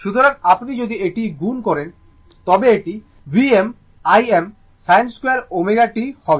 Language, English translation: Bengali, So, if you multiply this, it will be V m I m sin square omega t right